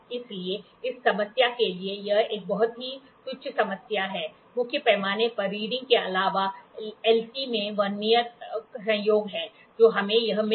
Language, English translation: Hindi, So, for this problem, it is a very trivial problem, main scale reading plus Vernier coincidence into LC